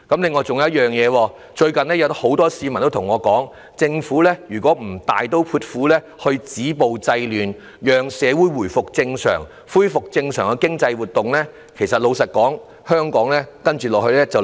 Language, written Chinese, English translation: Cantonese, 此外，最近有很多市民對我說，如果政府不大刀闊斧地止暴制亂，讓社會回復正常，恢復正常的經濟活動，香港接下來便會出問題。, Separately many people told me recently that if the Government were not going to stop violence and curb disorder in a bold and decisive manner with a view to facilitating the communitys return to normality and resumption of proper economic activities problems would plague Hong Kong subsequently